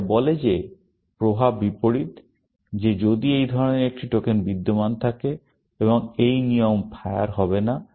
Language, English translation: Bengali, This one says that the effect is opposite, that if such a token exist, and this rule will not fire